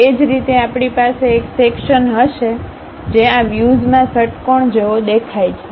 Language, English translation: Gujarati, Similarly, we will be having a section which looks like a hexagon in this view